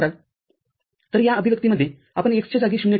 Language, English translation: Marathi, So, in the expression, we shall substitute in place of x, 0